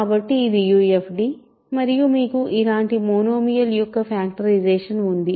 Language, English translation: Telugu, So, it is a UFD and you have a factorization of a monomial like this